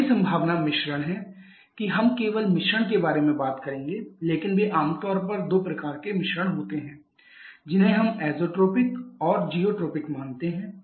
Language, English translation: Hindi, The 4th possibility is the mixtures we shall not be talking about the mixtures but they are generally are two types of mixtures that we consider Azotropic and zerotropic